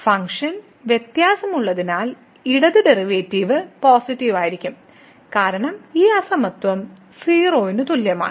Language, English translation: Malayalam, Since the function is differentiable that left derivative will be also positive because this inequality is greater than equal to